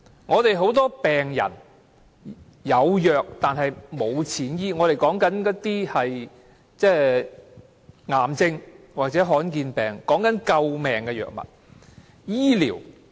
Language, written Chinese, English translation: Cantonese, 香港有很多病人是"有藥但沒有錢醫"，我們所說的是癌症或罕見疾病，是救命的藥物。, For a lot of patients in Hong Kong the diseases they suffer from are curable but they cannot afford treatment . We are talking about drugs for cancer or rare diseases which can save lives